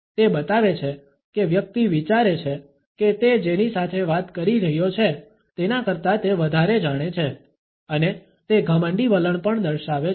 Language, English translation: Gujarati, It shows that the person thinks that he knows more than people he is talking to and it also shows arrogant attitude